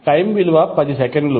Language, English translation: Telugu, Time is given as 10 seconds